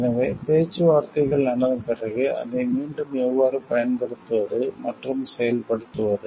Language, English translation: Tamil, So, after the negotiations have happened then how again to apply it and implement it